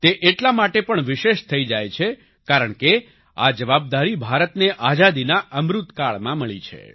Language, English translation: Gujarati, This becomes even more special because India was awarded this responsibility during Azadi Ka Amrit Kaal